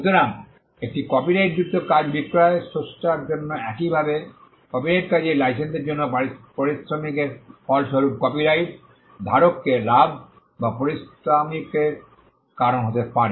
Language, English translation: Bengali, So, the sale of a copyrighted work can result in remuneration for the creator similarly licence of copyrighted work can also result in a gain or a remuneration for the copyright holder